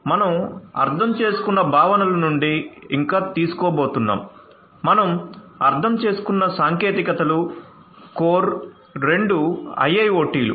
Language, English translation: Telugu, We are going to still borrow, those concepts that we have understood the technologies that we have understood are core two IIoT